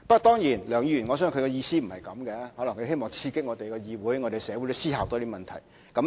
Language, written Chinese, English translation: Cantonese, 當然，我相信梁議員的意思不是這樣，可能他希望刺激議會和社會多思考問題。, Certainly I do not think Mr LEUNG meant anything like this . Perhaps he wanted to stimulate more thinking in the legislature and the community